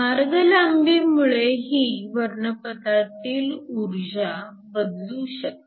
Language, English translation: Marathi, The path length will also change the energy of the spectrum